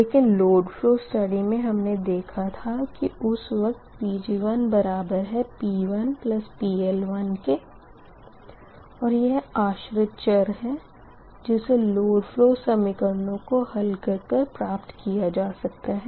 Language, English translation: Hindi, but once you get the lower cost studies, at that time that p one, that pg one should be p one plus pl one is a dependent variable, right, and found by solving the load flow equations